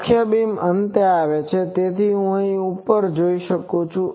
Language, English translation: Gujarati, , the main beam comes at the end so, there I can go up